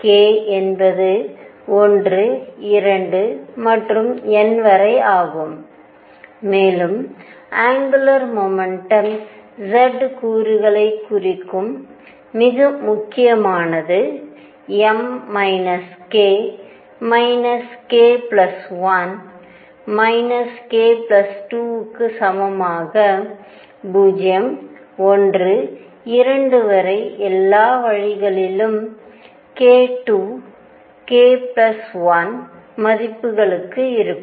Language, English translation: Tamil, k is 1 2 and up to n, and more important m which represents the z component of angular momentum is equal to minus k, minus k plus 1, minus k plus 2 all the way up to 0, 1, 2 all the way up to k 2 k plus 1 values